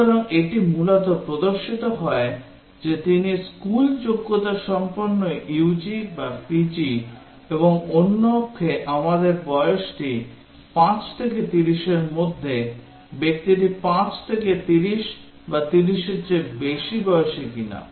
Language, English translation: Bengali, So, it basically display whether he is school qualified UG or PG and on the other axis we have the age is whether it is between 5 to 30, the person is 5 to 30 or is greater than 30